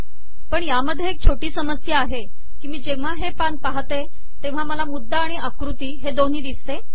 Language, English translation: Marathi, But it has a small problem in that when I go to this page it shows the first item and also this figure